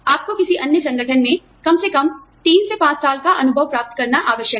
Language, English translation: Hindi, You are required to gain, at least 3 to 5 years of experience, in another organization